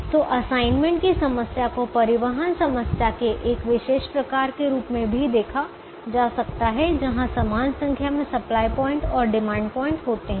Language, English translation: Hindi, so the assignment problem can also be seen as a special case of a transportation problem where there are equal number of supply points and demand points